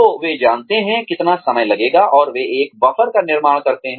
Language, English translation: Hindi, So, they know, how much time, it will take, and they build a buffer in